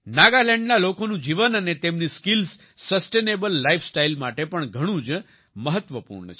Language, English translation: Gujarati, The life of the people of Nagaland and their skills are also very important for a sustainable life style